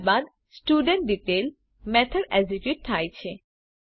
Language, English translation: Gujarati, Then studentDetail method is executed